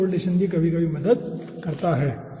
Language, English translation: Hindi, so this correlation also helps sometime